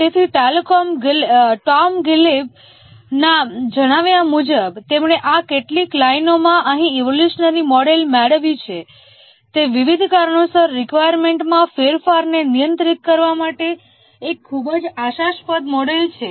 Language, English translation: Gujarati, So, according to Tom Gleib, the evolutionary model which he captures here in this view lines is a very promising model to handle changes to the requirement due to various reasons